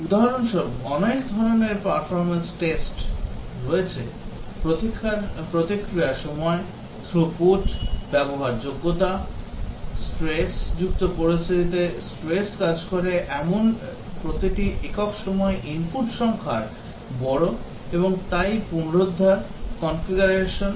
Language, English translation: Bengali, There are many types of performance tests for example; Response times, Throughput, Usability, Stress working under stressed conditions like number of inputs per unit time is large and so on, Recovery, Configuration